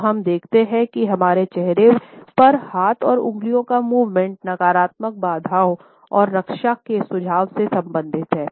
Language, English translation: Hindi, So, we see that in all these clusters of hand and finger movements across our face, the suggestion of negativity barriers and defense is related